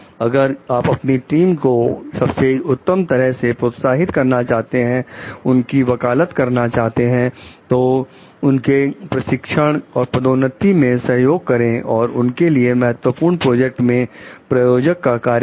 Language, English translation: Hindi, If you want to inspire the best from your team, advocate for them, support their training and promotion, and go to bat to sponsor their important projects